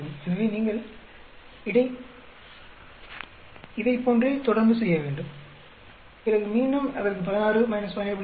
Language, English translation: Tamil, So, like that you keep on doing, then again for this 16 minus 17